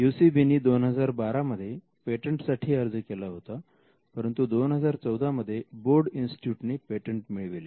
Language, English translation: Marathi, UCB had filed a patent in 2012 and the Broad Institute was the first to win the patent in 2014